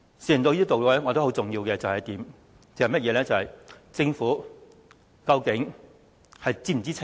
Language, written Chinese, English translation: Cantonese, 事情到了這地步，我覺得很重要的一點是，政府究竟是否知情？, Given that the matters have come to this pass this question is considered by me to be the most important Is the Government in the know?